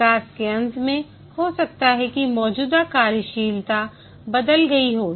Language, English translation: Hindi, At the end of development, maybe the existing functionalities might have changed